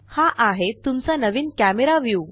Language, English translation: Marathi, Now, this is your new camera view